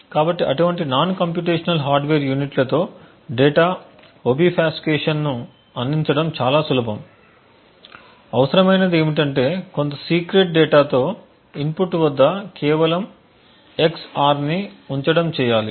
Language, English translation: Telugu, So, providing data obfuscation with such non computational hardware units is quite easy all that is required is just an EX OR at the input with some secret data